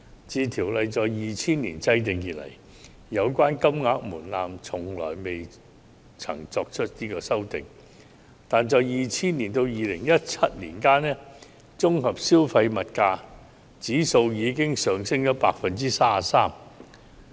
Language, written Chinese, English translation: Cantonese, 自《選舉條例》在2000年制定以來，有關金額門檻從來未曾作出修訂，但在2000年至2017年期間，綜合消費物價指數已經上升 33%。, However this threshold has not been amended since the enactment of the Elections Ordinance in 2000 despite a 33 % increase in the Composite Consumer Price Index between 2000 and 2017